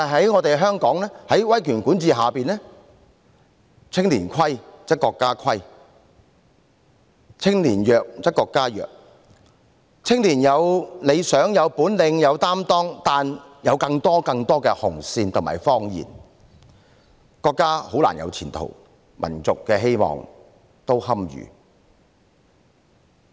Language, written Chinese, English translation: Cantonese, 然而，香港在威權管治下，青年虧則國家虧，青年弱則國家弱，雖然青年有理想、有本領、有擔當，但由於有更多更多的"紅線"和謊言，因此國家很難有前途，民族的希望也堪虞。, However under the authoritarian rule in Hong Kong if young people are deficient the country is deficient and if young people are weak the country is weak . Although young people have ideals abilities and a sense of responsibility due to more and more red lines and lies it is difficult for the country to have a future and the hope for its people is also at risk